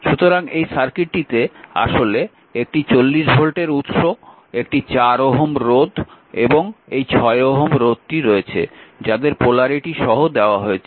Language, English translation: Bengali, So, this is actually the circuit is given, this is the 40 volt source 4 ohm resistor and this is 6 ohm resistor these are the polarity is given